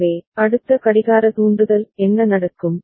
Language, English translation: Tamil, So, then the next clock trigger what happens